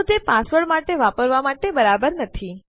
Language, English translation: Gujarati, So, its not good to use it for a password